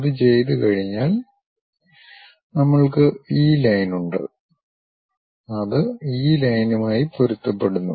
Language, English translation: Malayalam, Once that is done we have this line, which is matching with this line